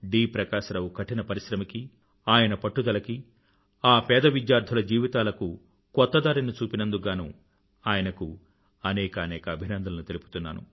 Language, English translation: Telugu, Prakash Rao for his hard work, his persistence and for providing a new direction to the lives of those poor children attending his school